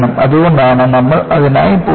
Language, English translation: Malayalam, That is why we go in for it